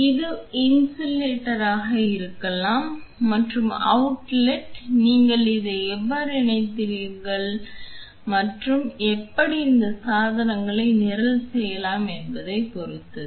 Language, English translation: Tamil, This could be this is this could be the inlet and the outlet depends on how you have connected it and how and you can as well program these devices